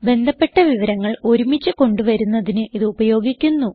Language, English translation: Malayalam, It is used to group related information together